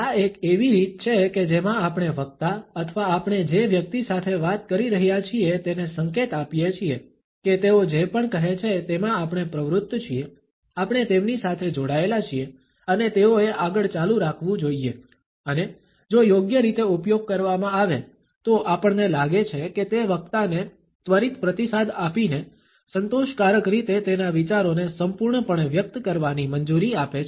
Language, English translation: Gujarati, This is one of the ways in which we signal to the speaker or the person we are talking to, that we are engaged in whatever they are saying, we are engaged with them and they should continue further and if used correctly, we find that it allows the speaker to fully express his or her thoughts in a satisfying manner, providing immediate feedback